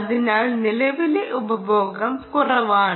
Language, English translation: Malayalam, current consumption is low